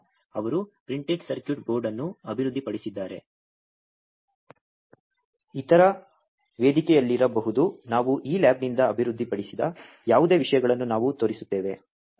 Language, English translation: Kannada, So, he developed a printed circuit board may be in other forum we will show those kind of things whatever has been developed from this lab